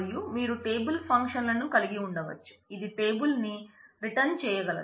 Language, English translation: Telugu, And you can have table functions where it can return table